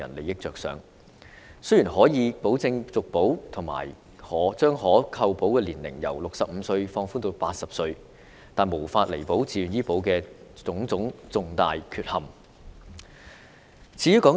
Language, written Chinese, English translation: Cantonese, 雖然自願醫保可以保證續保和將可投保年齡由65歲放寬至80歲，但亦無法彌補自願醫保的種種重大缺陷。, Although VHIS guarantees renewal and has relaxed the age limit of the insured persons from 65 to 80 these features cannot make up its major defects